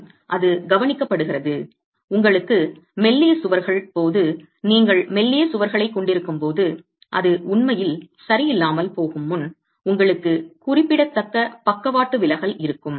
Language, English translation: Tamil, And it is observed that when you have slender walls, when you have slender walls, you have significant lateral deflection before it can actually fail